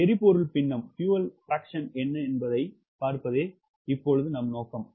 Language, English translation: Tamil, our aim is to see what is the fuel fraction